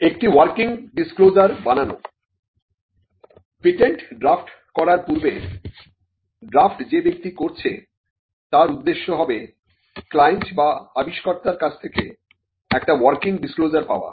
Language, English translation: Bengali, Getting a working disclosure: Before drafting a patent, the objective of a person who drafts a patent will be to get a working disclosure from the client or the inventor